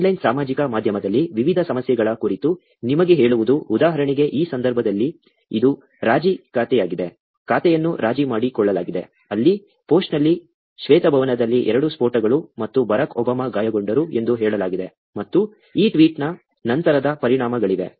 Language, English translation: Kannada, Telling you about different issues on online social media, for example, in this case, it is compromised account; an account was compromised, where the post said ‘Two explosions in White House and Barrack Obama injured’, and, there was, there was after effects of this tweet